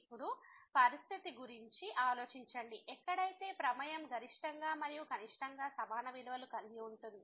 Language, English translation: Telugu, Now, think about the situation, then the where the function is having maximum and the minimum value as same